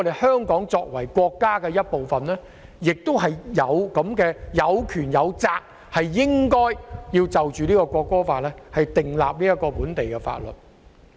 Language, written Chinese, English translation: Cantonese, 香港作為國家的一部分，有權亦有責就《國歌法》訂立本地法律。, Being a part of our country Hong Kong has the right and responsibility to enact local legislation in respect of the National Anthem Law